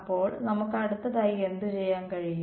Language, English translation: Malayalam, So, what could we do next